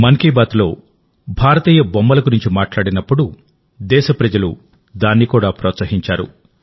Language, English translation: Telugu, In 'Mann Ki Baat', when we referred to Indian toys, the people of the country promoted this too, readily